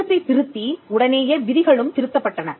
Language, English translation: Tamil, Soon after amending the act, the rules were also amended